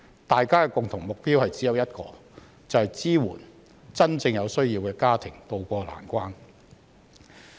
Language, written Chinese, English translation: Cantonese, 大家的共同目標只有一個，就是支援真正有需要的家庭渡過難關。, There is only one common goal for us and that is to support those families in genuine need to tide over the difficulties